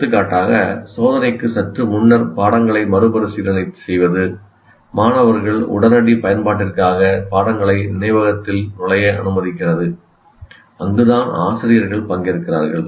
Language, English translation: Tamil, For example, reviewing the material just before test allows students to enter the material into working memory for immediate use